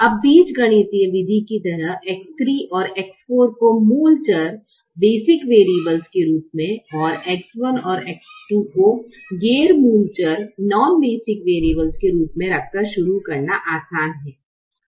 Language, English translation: Hindi, now, just like in the algebraic method, it is easy to begin with x three and x four as the basic variables and keep x one and x two as a the non basic variables